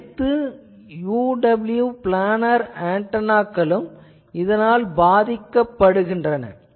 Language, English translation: Tamil, So, it turned out that all the planner antennas UWB planar antennas was suffering from these